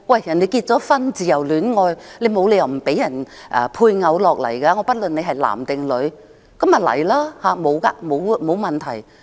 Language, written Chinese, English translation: Cantonese, 人家自由戀愛結婚，沒有理由不准其配偶來港，不論男或女，那便來港，沒有問題。, If their marriages are based on romantic love there is no reason why their spouses no matter male or female should not be allowed to come to Hong Kong and that should not be a problem